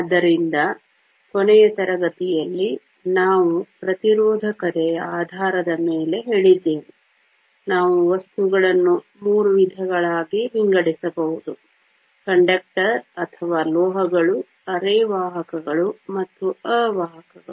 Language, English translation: Kannada, So, last class, we said the based on resistivity, we can classify materials into three types conductors or metals, semiconductors and insulators